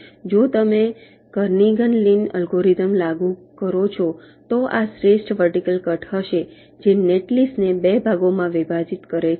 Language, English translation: Gujarati, if you apply kernighan lin algorithm, this will be the best vertical cut, which is dividing the netlist into two parts